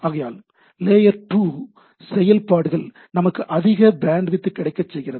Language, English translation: Tamil, So, this layer 2 activity allows us to have a better bandwidth realization of the things